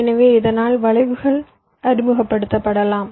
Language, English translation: Tamil, so because of that skews might be introduced